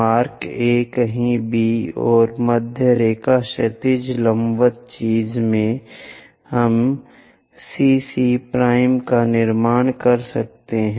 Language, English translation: Hindi, Mark A, somewhere B and in middle line horizontal perpendicular thing, we can construct CC prime